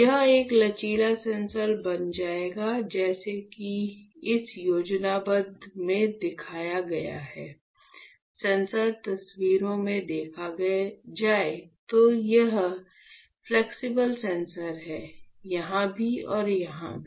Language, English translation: Hindi, So, it will become a flexible sensor as shown in this schematic alright; in the sensor photos, if you see, this is the flexible sensor, here as well as here right